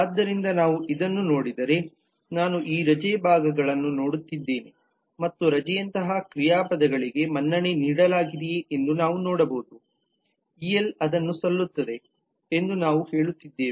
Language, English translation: Kannada, so if we look at this then suppose if i am looking into these leave parts and we can see that the verbs like the leave is credited, el we are saying it is credited